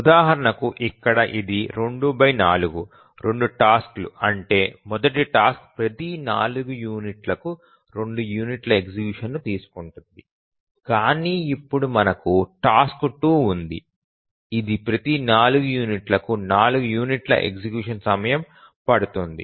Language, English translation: Telugu, The again two tasks, the first task takes 2 unit of execution every 4 units, but now we have the task 2, taking 4 units of execution time every 8